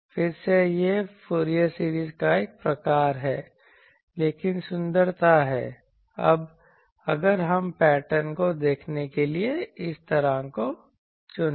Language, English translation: Hindi, Since we again actually it is a sort of Fourier series, but the beauty of these that if we choose like this to see the pattern